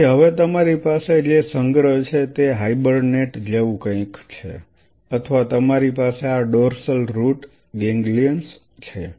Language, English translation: Gujarati, So, now what you have the collection buffers something like hibernate or something you have these dorsal root ganglions DRGs